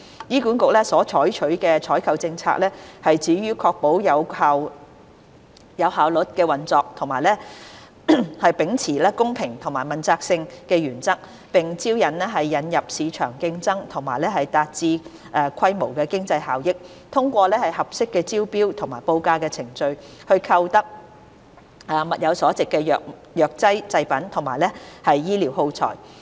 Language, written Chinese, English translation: Cantonese, 醫管局所採取的採購政策，旨在確保有效率的運作及秉持公平及具問責性的原則，並引入市場競爭和達致規模經濟效益，通過合適的招標或報價程序，購得物有所值的藥劑製品及醫療耗材。, The objective of HAs procurement policy is to ensure operational efficiency fairness and accountability while introducing market competition and achieving economies of scale so as to obtain pharmaceutical products and medical consumables at the best value - for - money through appropriate tendering or quotation processes